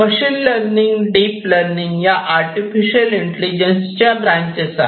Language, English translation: Marathi, So, basically deep learning is a branch of machine learning